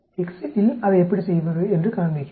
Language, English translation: Tamil, Let me show you how to do it in the Excel